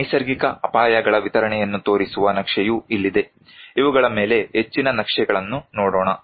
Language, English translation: Kannada, Here, the map that showing the distribution of natural hazards let us look more maps on these